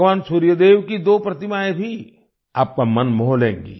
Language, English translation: Hindi, Two idols of Bhagwan Surya Dev will also enthrall you